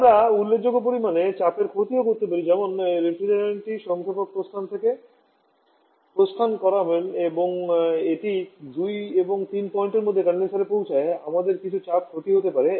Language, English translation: Bengali, You can also a significant amount of pressure losses like in the different is moving from the compressor exit and it is reaching the condenser between the point 2 and 3, we may have some amount of pressure loss